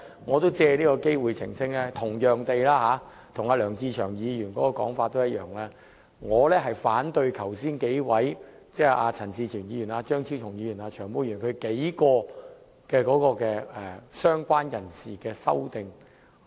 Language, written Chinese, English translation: Cantonese, 我藉此機會澄清，我跟梁志祥議員的說法一樣，我反對陳志全議員、張超雄議員和"長毛"等就"相關人士"定義提出的修正案。, I would like to take this opportunity to clarify that I share the opinion of Mr LEUNG Che - cheung that is I oppose the amendments proposed by Mr CHAN Chi - chuen Dr Fernando CHEUNG and Long Hair on the definition of related person